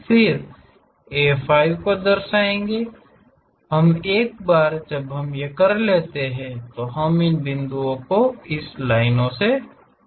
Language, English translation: Hindi, Then A 5 we will locate it once we are done we have these points joined by lines